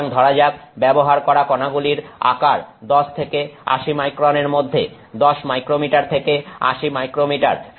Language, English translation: Bengali, So, particles used should have sizes say between 10 and 80 microns, 10 micrometers to 80 micrometers